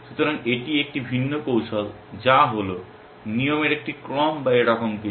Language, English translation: Bengali, So, that is a different strategy that is the, something like order of rules or something like that